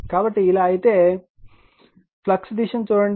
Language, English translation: Telugu, So, if it is so then look at the flux direction